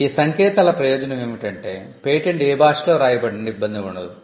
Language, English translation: Telugu, The advantage of these codes is that regardless of in what language the patent is written